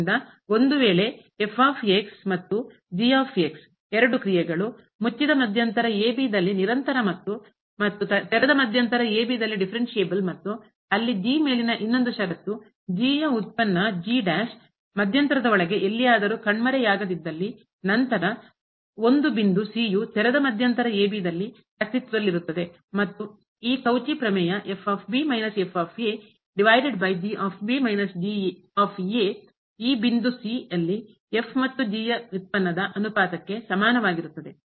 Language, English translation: Kannada, So, if and are two functions continuous in closed interval and differentiable in open interval and there is another condition on that the derivative of does not vanish anywhere inside the interval then there exist a point in the open interval such that this Cauchy theorem ) minus over minus is equal to the ratio of the derivative of this and at the point